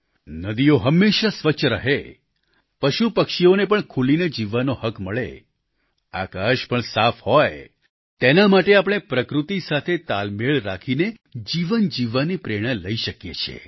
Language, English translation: Gujarati, For ensuring that the rivers remain clean, animals and birds have the right to live freely and the sky remains pollution free, we must derive inspiration to live life in harmony with nature